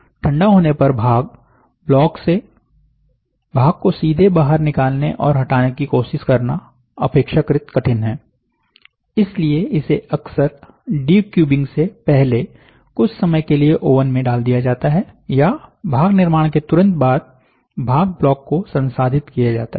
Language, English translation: Hindi, It is relatively difficult to remove the part from the part block when it is cold, therefore, it is often put into a woven for sometime before decubing or part block is processed immediately after the part building happens